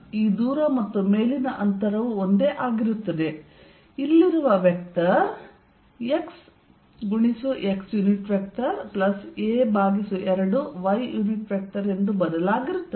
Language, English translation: Kannada, This distance and upper distance is the same, a vector out here changes x x plus a by 2 y